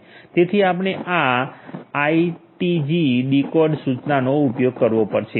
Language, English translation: Gujarati, So, we have use this command ITG Decode